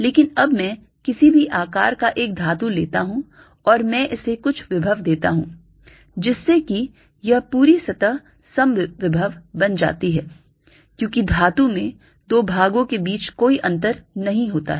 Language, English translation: Hindi, but now let me take a metallic, any shape, ah, ah, any shape of a metal and i give it some potential that this entire surface becomes an equipotential, because metals they cannot be any difference between two parts